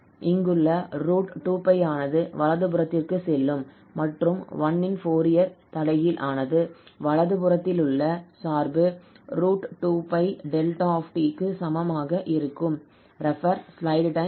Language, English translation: Tamil, So this is 1 there, the right hand side function so the Fourier Inverse of 1 is exactly square root 2 pi and delta t